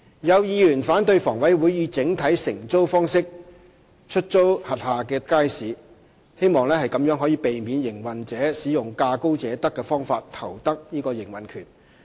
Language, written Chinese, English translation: Cantonese, 有議員反對房委會以整體承租方式出租轄下街市，希望可避免營運者使用價高者得的方法投得營運權。, Some Members disapprove of a single - operator letting arrangement for the markets under HA in the hope of preventing single operators from obtaining the operating rights of markets by offering the highest bids